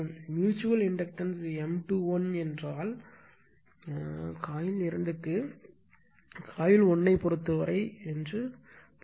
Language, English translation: Tamil, And mutual inductance M 2 1 means 2 1 means coil 2 with respect to coil 1